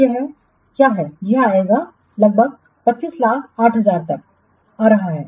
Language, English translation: Hindi, So, this will what this will come to or this is coming to 25 lakhs 8,000